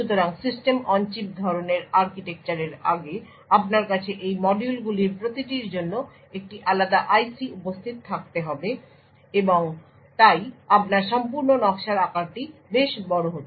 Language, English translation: Bengali, So, in prior years previous prior to the System on Chip type of architecture you would have a different IC present for each of these modules and therefore the size of your entire design would be quite large right